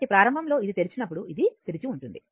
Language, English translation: Telugu, So, initially that your as this is open this is open